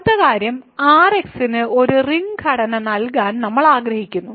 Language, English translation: Malayalam, So now, the next thing is we want to give a ring structure to R[x]